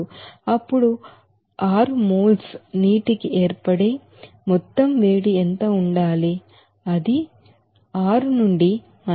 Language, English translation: Telugu, Then what should be the total heat of formation for six moles of water it will be 6 into 57